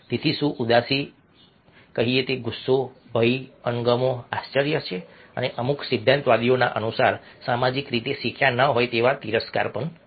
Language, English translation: Gujarati, so is anger, fear, disgust, surprise and, according to certain theorists, even scorn, which are not socially learnt